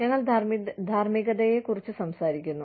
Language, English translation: Malayalam, We talk about morality